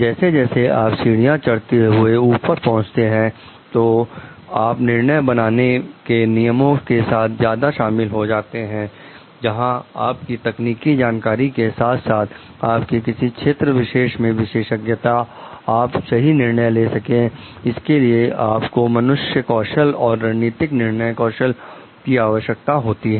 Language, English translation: Hindi, So, as you move up the ladder, then you are getting more involved in decision making rules, where along with the technical knowhow along with your like expertise in your specific area, you require these type of like human skills and strategic decision skills to take proper decision